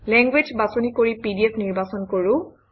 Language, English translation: Assamese, Let us choose language and then PDF